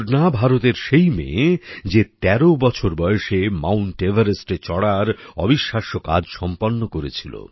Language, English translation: Bengali, Poorna is the same daughter of India who had accomplished the amazing feat of done a conquering Mount Everest at the age of just 13